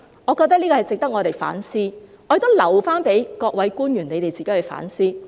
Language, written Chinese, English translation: Cantonese, 我覺得這方面值得我們反思，我亦留待各位官員自行反思。, I think this is worth our reflection and I will leave it to the officials to reflect on themselves